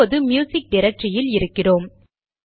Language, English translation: Tamil, See, we are in the music directory now